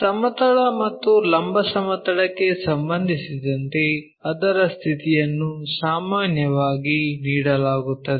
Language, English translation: Kannada, And its position with respect to horizontal plane and vertical plane are given usually